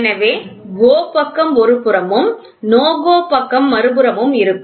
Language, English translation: Tamil, So, GO gauge will be on one side, NO GO gauge will be on the other side